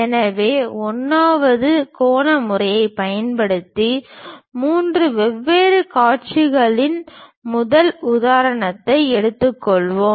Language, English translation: Tamil, So, let us take first example three different views using 1st angle method